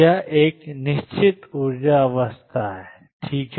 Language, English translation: Hindi, That is a fixed energy state all right